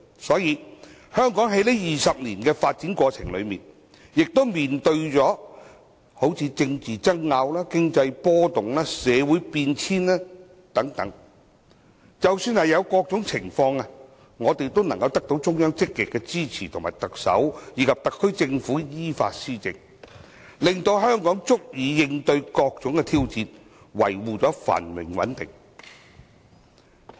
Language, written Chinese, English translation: Cantonese, 所以，香港在這20年的發展過程中，也曾面對政制爭拗、經濟波動、社會變遷等，即使遇上各種情況，我們得到中央積極支持特首及特區政府依法施政，令香港足以應對各種挑戰，維護繁榮穩定。, Therefore over the past 20 years Hong Kong has faced political disputes economic fluctuations and social changes . Despite such situations the Central Authorities have actively supported the administration by the Chief Executive and the SAR Government in accordance with the law thereby enabling Hong Kong to meet various challenges and maintain prosperity and stability